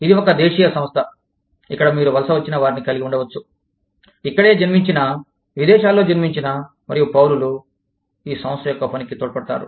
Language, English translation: Telugu, This is a domestic firm, in which, you could have immigrants, you could have, native, foreign born, and citizens, contributing to the, working of this firm